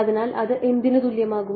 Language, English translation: Malayalam, So, what is that going to be equal to